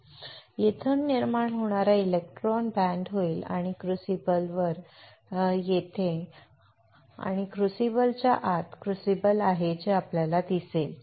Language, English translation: Marathi, So, electron generates from here will band and it will in we get incident on the crucible you see there is a crucible here and within the crucible